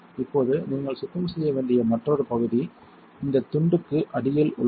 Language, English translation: Tamil, Now, another area you should clean is underneath this piece